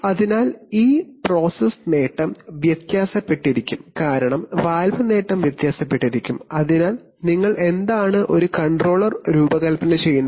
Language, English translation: Malayalam, So, and this process gain keeps varying because the valve gain keeps varying, so what do, I mean, how do you design a controller